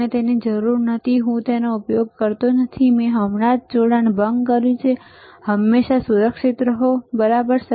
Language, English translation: Gujarati, I do not need it I do not use it I just disconnected, always be safe, right